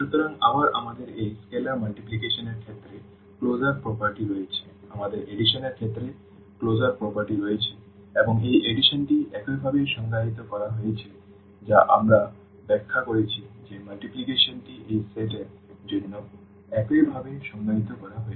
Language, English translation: Bengali, So, again we have the closure property with respect to this scalar multiplication, we have the closure property with respect to the addition and this addition is defined in this way which we have explained the multiplication is defined in this way for this set